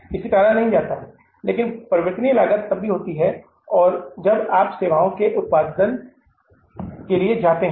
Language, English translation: Hindi, But the variable cost will only happen if you go for the production or generating of the services